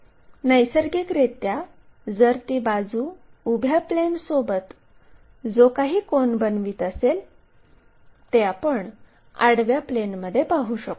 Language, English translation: Marathi, So, what about that side with vertical plane if it is making naturally any angle making with vertical plane we will see it in the horizontal plane